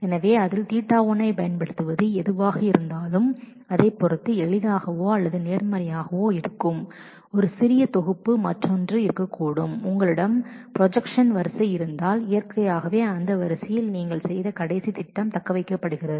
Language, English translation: Tamil, So, applying theta 1 on that would be easier or vice versa depending on whichever is a smaller set there could be other for example, if you have a sequence of projections then naturally in that sequence the last projection that you have done is what is retained